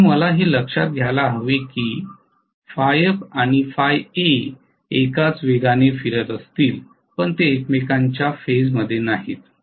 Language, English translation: Marathi, So now I have to look at please note that phi f and phi a may be rotating at the same speed but they are not in phase with each other, not at all, absolutely not